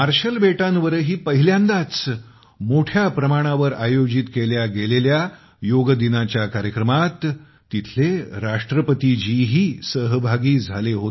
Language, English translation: Marathi, The President of Marshall Islands also participated in the Yoga Day program organized there on a large scale for the first time